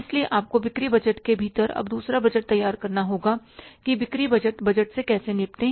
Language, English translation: Hindi, So, you have to prepare now the second budget within the sales budget that how to deal with the sales collection budget